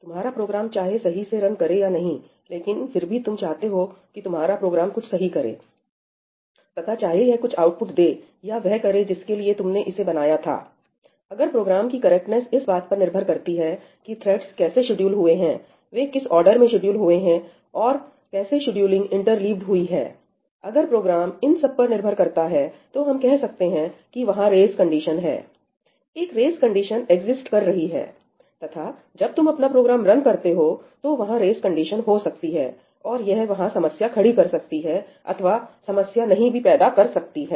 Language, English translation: Hindi, whether your program runs correctly or not obviously, you want your program to do something, right and whether it outputs or it does what you intended it to do, the correctness of the program, if it depends on how the threads are scheduled, in which order they are scheduled and how the scheduling is interleaved if it is dependent on that ñ then, we say that there is a race condition, a race condition exists; and when you run your program, the race condition may happen and it may cause a problem or it may not cause a problem